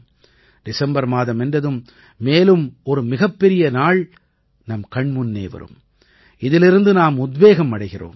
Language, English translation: Tamil, In the month of December, another big day is ahead of us from which we take inspiration